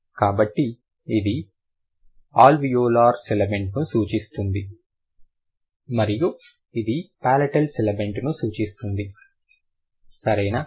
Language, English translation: Telugu, So, this stands for alveolar civilant and this stands for palatal sibilant